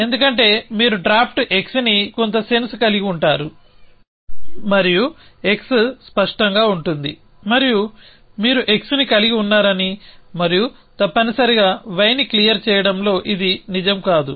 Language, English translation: Telugu, Because you would have draft x some sense and x would be clear and this will no long be true that you a holding x and clear y essentially